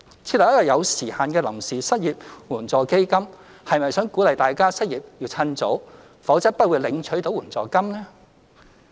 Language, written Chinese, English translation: Cantonese, 設立一個有時限的臨時失業援助基金，是否想鼓勵大家失業要趁早，否則不會領取到援助金？, Is the setting up of a time - limited temporary unemployment assistance intended to encourage people to lose their job the sooner the better or else they will not receive the assistance?